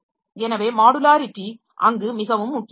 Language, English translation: Tamil, So, this modularity is very important there